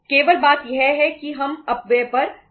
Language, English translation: Hindi, Only thing is we can save up on the wastages